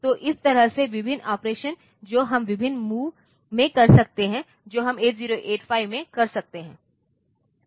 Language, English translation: Hindi, So, in this way I can think I can talk about various operations that we can do in various movements that we can do in 8085